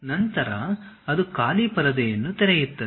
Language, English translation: Kannada, Then it opens a blank screen